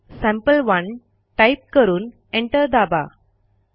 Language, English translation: Marathi, Type cat sample1 and press enter